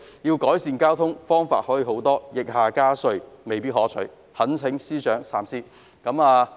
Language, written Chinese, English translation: Cantonese, 要改善交通，還有很多方法，疫下加稅，未必可取，懇請司長三思。, There are many ways to improve traffic but increasing taxes amid the epidemic may not be a desirable one . I implore FS to think twice